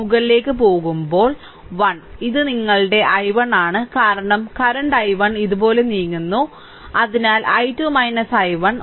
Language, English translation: Malayalam, And going upward, so 1 into and this is your i 1 because current i 1 moving like this, so i 2 minus i 1 right